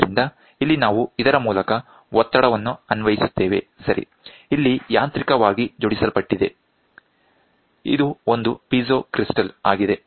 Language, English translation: Kannada, So, I have to so, through here we will apply pressure, ok, here it is mechanically linked, this is a piezo crystal